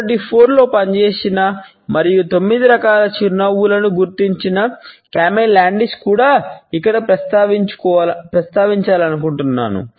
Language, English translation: Telugu, Here I would also like to mention Carney Landis, who had worked in 1924 and had identified 9 different types of a smiles